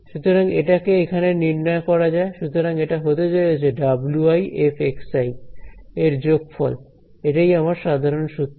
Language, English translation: Bengali, So, let us evaluate this over here; so, I am going to get its going to be sum of w i f of x i that is my general formula